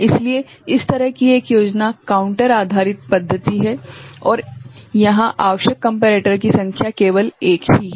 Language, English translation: Hindi, So, one such scheme is counter based method where the number of comparator required is only one ok